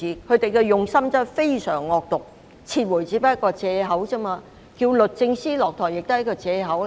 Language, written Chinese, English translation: Cantonese, 他們的用心真的非常惡毒，撤回不過是借口，而要求律政司司長下台亦是借口。, Driven indeed by the most malicious motive they use the withdrawal as merely a pretext ditto with their demand that the Secretary for Justice should step down